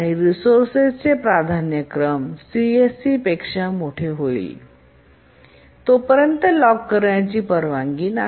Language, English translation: Marathi, And the task is not allowed to lock a resource unless its priority becomes greater than CSC